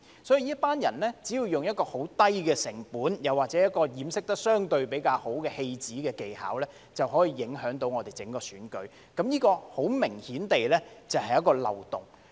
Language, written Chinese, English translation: Cantonese, 所以，這群人只要用很低的成本，又或掩飾得相對比較好的戲子技巧，便可以影響到整個選舉，這很明顯是一個漏洞。, As such this group can affect the entire election at a very low cost or with some relatively well - disguised theatrical skills . This is obviously a loophole